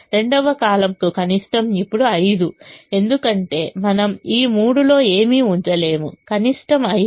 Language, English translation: Telugu, for the second column, the minimum is now five because we cannot put anything in this three